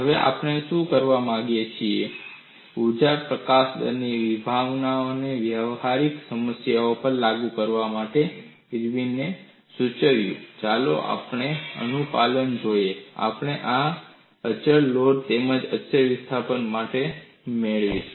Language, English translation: Gujarati, Now, what we want to do is in order to apply the concept of energy release rate to practical problems, Irwin suggests that, let us look at compliance; we will get this for constant load as well as constant displacement